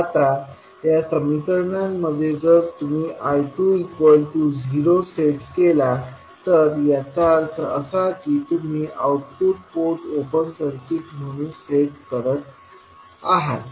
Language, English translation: Marathi, Now in these equations, if you set I 2 is equal to 0 that means you are setting output port as open circuit